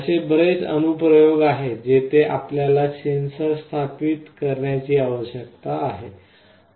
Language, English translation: Marathi, There are many applications where you need to install a sensor